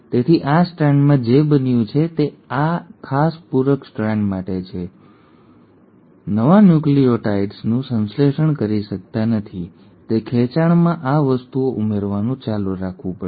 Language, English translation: Gujarati, So in this strand what has happened is for this particular complementary strand the DNA polymerase cannot, at a stretch, synthesize the new nucleotides; it has to keep on adding these things in stretches